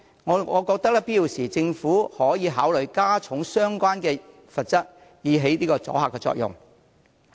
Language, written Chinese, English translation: Cantonese, 我認為在有必要時，政府可考慮加重相關罰則，以起阻嚇作用。, I think the Government can consider increasing the relevant penalties if necessary so as to achieve a deterrent effect